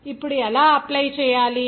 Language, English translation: Telugu, Now how to apply